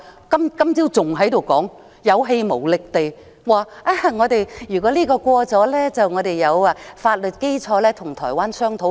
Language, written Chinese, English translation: Cantonese, 今早，林鄭月娥還有氣無力地說，如果修例建議獲得通過，我們便會有法律基礎跟台灣商討。, This morning Carrie LAM said weakly that passage of the legislative amendments would provide a legal basis for discussion with Taiwan